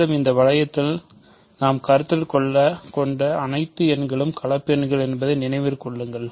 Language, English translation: Tamil, And, remember all the numbers that we are considering in this ring are complex numbers